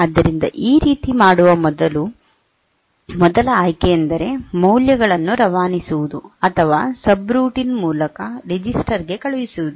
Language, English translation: Kannada, So, this way the first option for doing this is to pass the values are pass data to subroutine by means of registers